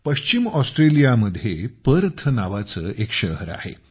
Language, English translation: Marathi, There is a city in Western Australia Perth